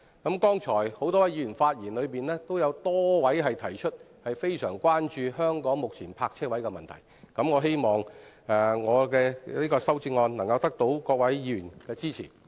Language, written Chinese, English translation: Cantonese, 剛才多位議員發言時提出，非常關注香港目前泊車位的問題，我希望我的修正案能夠得到各位議員的支持。, In their speeches just now many Members spoke about their grave concern about the current provision of parking spaces in Hong Kong . I hope Honourable Members will support my amendment